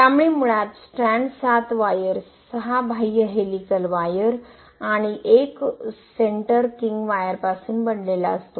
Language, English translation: Marathi, So basically strand is made of 7wires, 6 outer helical wires and 1 centre king wire